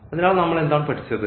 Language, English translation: Malayalam, So, what we have learn